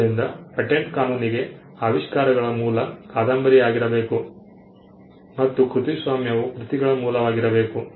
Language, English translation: Kannada, So, patent law requires inventions to be novel and copyright requires works to be original